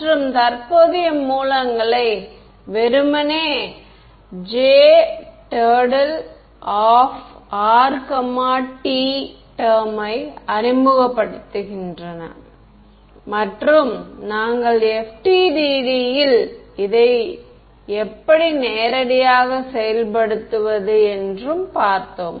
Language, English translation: Tamil, And current sources simply introducing the J r comma t term and we looked at how to implemented in FDTD pretty straight forward